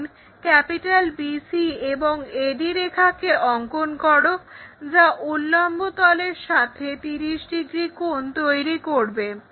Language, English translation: Bengali, So, draw the same length BC or AD line with an angle 30 degrees in the vertical plane